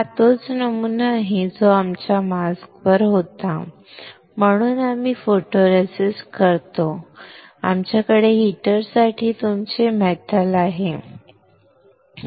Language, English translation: Marathi, This is same pattern which we had on the mask, so we have your photo resist; we have your metal for heater